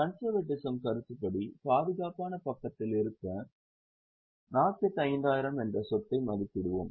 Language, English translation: Tamil, Now, to be on safer side, as per the concept of conservatism, we will say that let us value the asset at 45,000